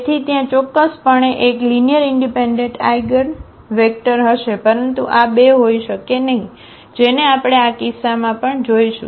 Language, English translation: Gujarati, So, there will be definitely one linearly independent eigenvector, but there cannot be two this is what we will see in this case as well